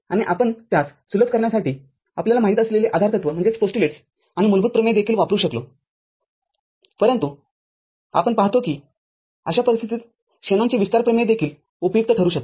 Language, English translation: Marathi, And we could have taken other you know, postulates and basic theorems also to simplify it, but we see that Shanon’s expansion theorem can also be useful in such a case